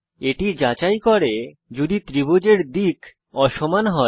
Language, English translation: Bengali, It checks whether sides of triangle are unequal